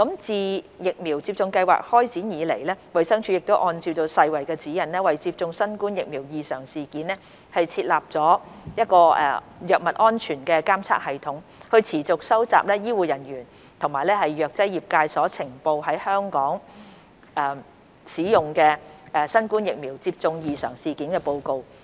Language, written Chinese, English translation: Cantonese, 自疫苗接種計劃開展以來，衞生署按照世衞的指引，為接種新冠疫苗異常事件設立藥物安全監測系統，持續收集醫護人員及藥劑業界所呈報在香港使用的新冠疫苗接種異常事件報告。, Since the launch of the vaccination programme DH has put in place a pharmacovigilance system for adverse events associated with COVID - 19 vaccines in accordance with WHO guidelines . It has continued to receive reports of Adverse Events Following Immunisations AEFIs related to the COVID - 19 vaccines used in Hong Kong from healthcare professionals and pharmaceutical industries